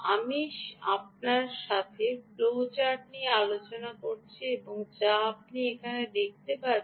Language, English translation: Bengali, i had discussed the flow chart with you ah, which you can now see is a very important ah